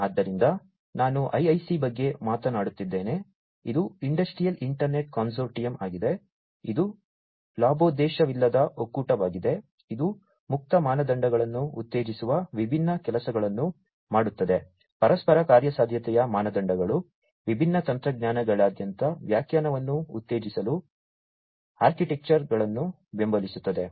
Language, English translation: Kannada, So, I was talking about the IIC, which is the Industrial Internet Consortium, which is a non profit consortium doing different things promoting open standards, standards for interoperability, supporting architectures of different, you know, architectures for promoting interpretability across different technologies, and so on